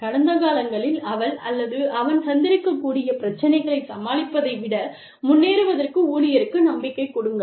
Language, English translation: Tamil, And, give the employee, hope of moving ahead of, overcoming the problems, that she or he may have faced in the past